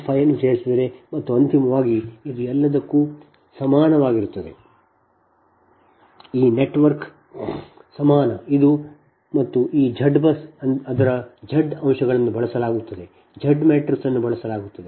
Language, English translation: Kannada, if you add this two, point five, if you add this two, point five, and ultimately this is actually equiva[lent] this network equivalent is this one and this z bus is, is its z elements will be used, z matrix will be used